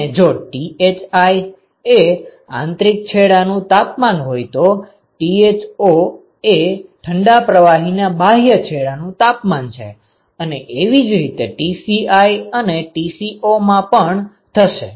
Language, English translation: Gujarati, And if Thi is the inlet temperature of hot fluid and Tho is the outlet temperature and similarly Tci and Tco ok